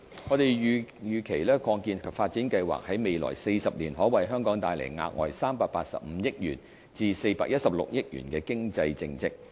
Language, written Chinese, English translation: Cantonese, 我們預期擴建及發展計劃在未來40年可為香港帶來額外385億元至416億元的經濟淨值。, We expect that the expansion and development plan would generate additional net economic benefits of 38.5 billion to 41.6 billion over a 40 - year operation period